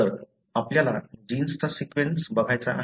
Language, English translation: Marathi, So, you want to look at the gene sequence